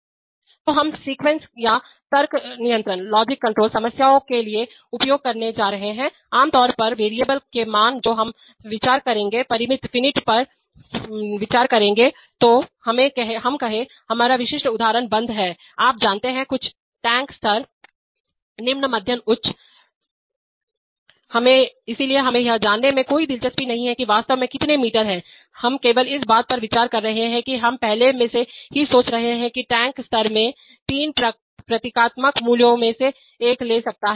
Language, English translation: Hindi, Which are, which we are going to use for sequence or logic control problems, typically the values of variables that we will consider, will be considering finite, so let us say, our typical example is on off, you know, some tank level, low medium high, so we are not interested in knowing what exactly, how many meters, we are only considering we are already thinking that the tank is in the tank level could take one of three symbolic values